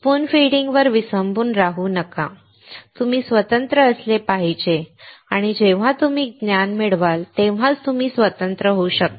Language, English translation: Marathi, Do not rely on spoon feeding, you should be independent, and you can be independent only when you acquire knowledge